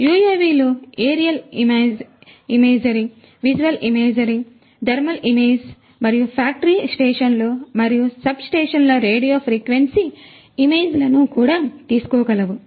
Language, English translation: Telugu, UAVs are also capable of taking aerial imagery, visual imagery, thermal imagery, and also radio frequency imagery of factory stations and substations